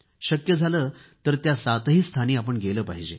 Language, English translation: Marathi, If possible, one must visit these seven places